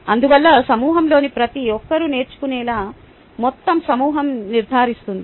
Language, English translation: Telugu, therefore, the entire group ensures that everybody in the group learns